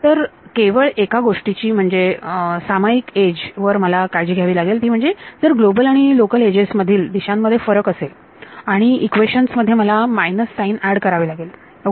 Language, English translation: Marathi, So, the only thing I have to take care of is that on the common edge if the global and the local edges differ by a direction and I have to add a minus sign in the equations ok